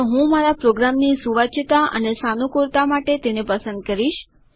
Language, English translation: Gujarati, I prefer it for readability and flexibility for my program